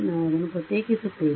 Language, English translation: Kannada, We will differentiate it